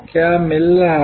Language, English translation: Hindi, What is getting delivered